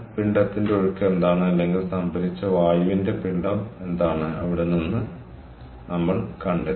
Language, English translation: Malayalam, so from there we found out what is the mass flow or the, what is the mass of air that was stored